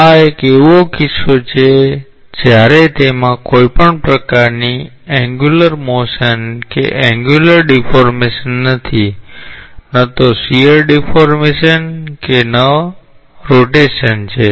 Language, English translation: Gujarati, This is a case when it does not have any type of angular motion angular deformation neither shear deformation nor rotation